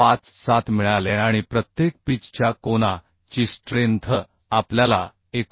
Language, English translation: Marathi, 57 and the strength of angle per pitch we got 89